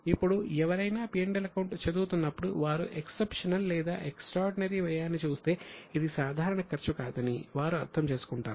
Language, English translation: Telugu, Now, when somebody is reading P&L and they look at an exceptional or extraordinary expense, they would understand that this is not a normal expense